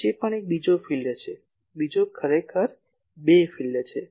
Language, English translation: Gujarati, In between also there is another region, another actually two regions